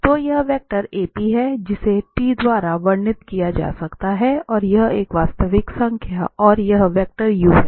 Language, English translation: Hindi, So, this is the vector AP which can be described by some t is a real number and this vector u